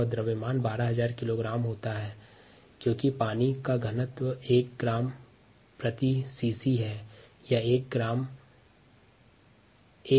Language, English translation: Hindi, and the mass happens to be twelve thousand kg because the density of water is one gram per cc, or thousand kilogram per meter cubed